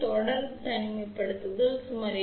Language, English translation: Tamil, For series isolation is about 8